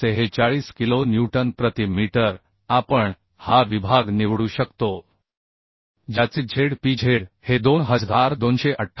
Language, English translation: Marathi, 846 kilo newton per meter we can choose this section with Zpz is equal to 2228